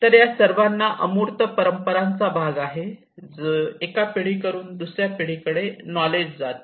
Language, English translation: Marathi, So this all has to a part of the intangible traditions which pass from one generation to another generation